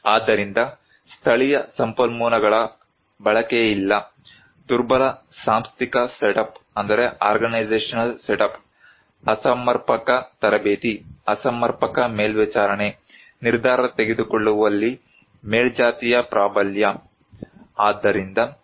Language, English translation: Kannada, So, no utilization of local resource, weak organizational setup, inadequate training, inadequate monitoring, hegemony of upper caste in decision making